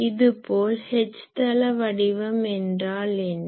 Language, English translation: Tamil, Similarly, what is the H plane pattern